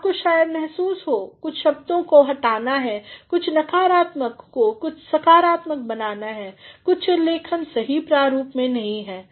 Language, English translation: Hindi, You may at times feel that certain words have to be deleted, certain negatives have to be converted into positives, certain references are not in the proper format